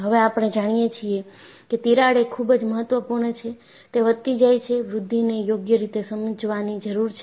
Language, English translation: Gujarati, Now, we know a crack is very important, it grows; its growth has to be understood properly